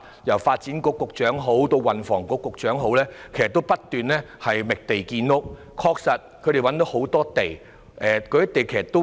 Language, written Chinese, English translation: Cantonese, 由發展局局長以至運輸及房屋局局長都在不斷覓地建屋，而他們亦確實找到很多土地。, Both the Secretary for Development and the Secretary for Transport and Housing have been constantly seeking land for housing construction and have been able to identify plenty of land